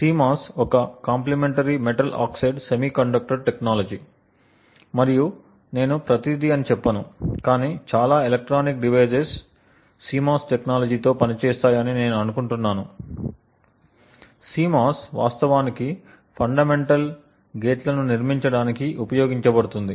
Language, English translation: Telugu, CMOS is a Complementary Metal Oxide Semiconductor technology and I would not say every, but I think most of the electronic devices work with the CMOS technology, CMOS would actually be used to actually build fundamental gates